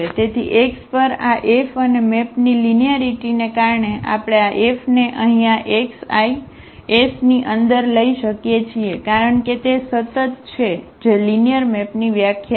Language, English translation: Gujarati, So, this F on x and due to the linearity of the map we can take this F here inside this x i’s because these are the constant that is the definition of the linear map